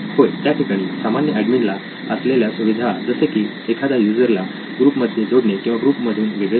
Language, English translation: Marathi, Yes, then admin general admin features of adding users to the group, removing users from the group